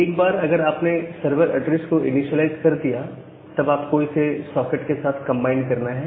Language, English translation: Hindi, So, once you have initialized the server address, you have to bind it with the socket